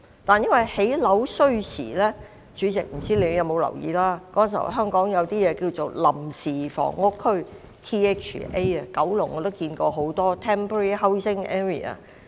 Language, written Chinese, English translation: Cantonese, 但是，由於建屋需時——主席，不知你有沒有留意到——當時香港設有一些臨時房屋區，我知道九龍有很多。, However since the construction of housing took time―President I wonder if you have noticed―at that time some Temporary Housing Areas THAs were set up in Hong Kong . I know there were quite a number of them in Kowloon